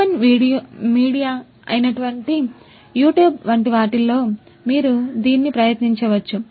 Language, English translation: Telugu, You could try it out in different open media such as YouTube etc